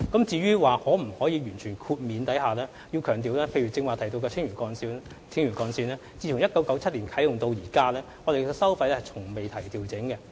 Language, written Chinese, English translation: Cantonese, 至於可否全面豁免收費，我必須強調，以剛才提到的青嶼幹線為例，該幹線自1997年啟用至今從未調整收費。, As regards the possibility of a full waiver I must highlight that in the case of the Lantau Link mentioned earlier its toll level has not been adjusted since its commissioning in 1997